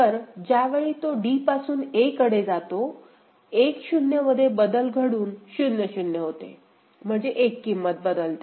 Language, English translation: Marathi, So, in this assignment when it is going from d to a, 1 0 is changing to 0 0, so one value